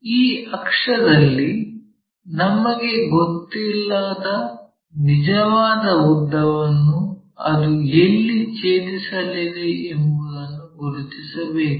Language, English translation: Kannada, On this axis, we have to mark whatever the true length where it is going to intersect it which we do not know